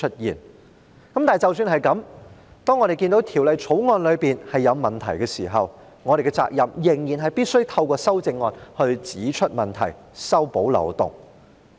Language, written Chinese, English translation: Cantonese, 即使是這樣，當我們看到《條例草案》有問題的時候，我們仍然有責任必須透過提出修正案指出問題，修補漏洞。, In spite of this when we see problems with the Bill we are still duty - bound to point them out and plug the loopholes by putting forward amendments